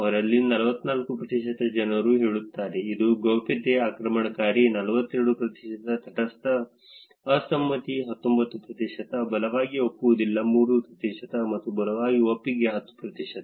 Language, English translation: Kannada, 44 percent of them say, that it is privacy invasive, 42 percent neutral, disagree is 19 percent, strongly disagree is 3 percent, and strongly agree is 10 percent